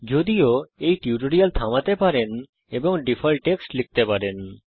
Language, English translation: Bengali, However, you can pause this tutorial, and type the default text